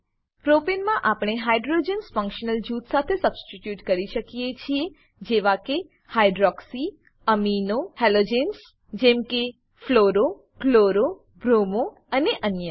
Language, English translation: Gujarati, We can substitute hydrogens in the Propane with functional groups like: hydroxy, amino, halogens like fluro, chloro, bromo and others